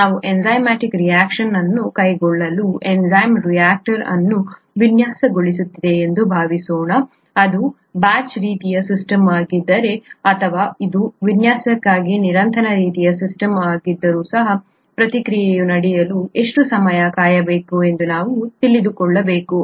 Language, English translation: Kannada, Suppose we are designing an enzyme reactor to carry out an enzymatic reaction, we need to know how long to wait for the reaction to take place if it is a batch kind of system, or even if it’s a continuous kind of a system for design of flow rates and so on and so forth, we need to know the kinetics